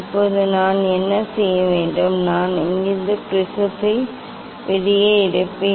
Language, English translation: Tamil, now, what I have to do, I will take out the prism from here